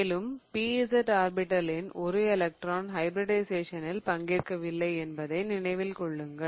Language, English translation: Tamil, Remember there were those p orbitals that did not take part in hybridization